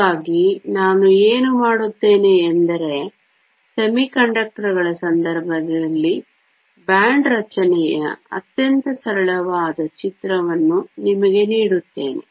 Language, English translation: Kannada, So, what I will do is give you a very simple picture of the band structure in the case of semiconductors